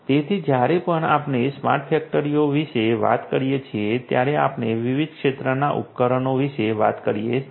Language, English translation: Gujarati, So, whenever we are talking about smart factories we are talking about different field devices